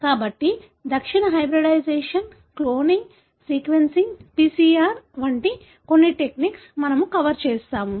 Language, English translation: Telugu, So, we will be covering some of the techniques like, southern hybridization, cloning, sequencing, PCR